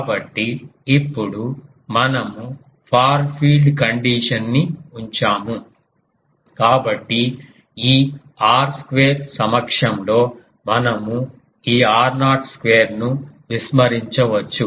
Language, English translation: Telugu, So, we now put the far field condition; so, we can neglect this r naught square in presence of this r square